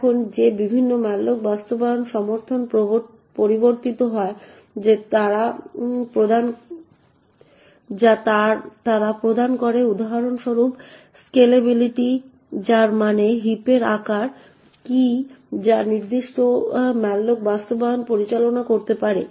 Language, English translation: Bengali, Now these different malloc implementations also vary in the support that they provide for example the scalability which means what is the size of the heap that the particular malloc implementation can manage